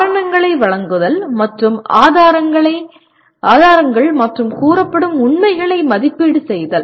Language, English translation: Tamil, Giving reasons and evaluating evidence and alleged facts